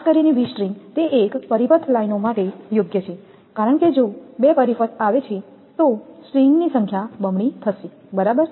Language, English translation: Gujarati, V strings are particularly it is suitable for single circuit lines because if two circuit comes then number of string will be doubled right